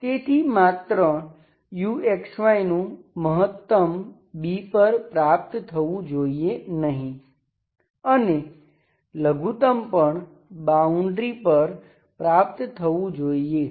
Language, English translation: Gujarati, So not only maximum of U is attained on B, on the boundary, minimum also should be attained on the boundary